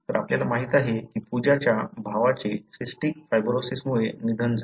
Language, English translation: Marathi, So, what we know is Pooja’s brother passed away because of cystic fibrosis